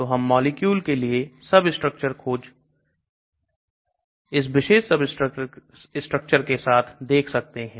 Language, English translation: Hindi, So we can look at substructure search for molecules with that particular substructure